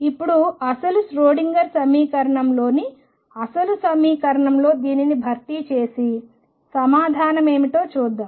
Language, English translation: Telugu, Let us now substitute this in the original equation the true Schrodinger equation and see what the answer comes out to be